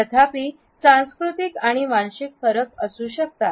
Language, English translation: Marathi, However, there may be cultural and ethnic variations